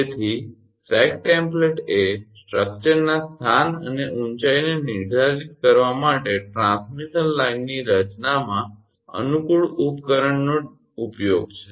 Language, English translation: Gujarati, So, sag template is a convenient device use in the design of a transmission line to determine the location and height of the structure